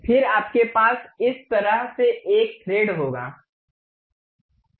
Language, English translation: Hindi, Then, you will have a thread in this way